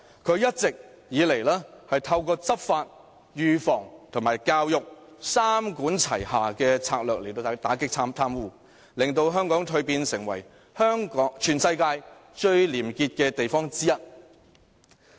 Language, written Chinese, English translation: Cantonese, 它一直以來透過執法、預防和教育三管齊下的策略打擊貪污，令香港蛻變成為全世界其中一個最廉潔的地方。, All along it has been combating corruption under the three - pronged approach of law enforcement prevention and community education thus transforming Hong Kong into one of the most corruption - free places in the world